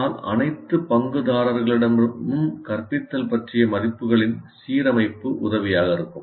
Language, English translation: Tamil, But an alignment of values about instruction across all stakeholders is helpful